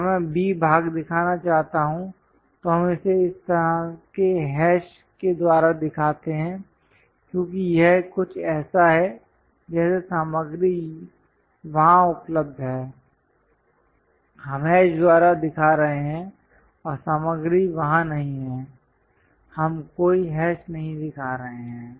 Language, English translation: Hindi, If I want to show B part, we show it by this kind of hashes because it is something like material is available there, we are showing by hash and material is not there so, we are not showing any hash